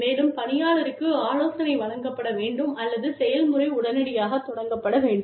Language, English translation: Tamil, And, the employee should be counselled, or the process should be started, immediately